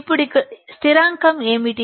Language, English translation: Telugu, Now, what is the constant here